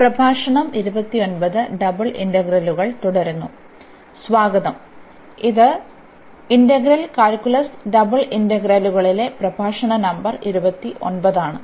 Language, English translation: Malayalam, So, welcome back this is lecture number 29 on integral calculus Double Integrals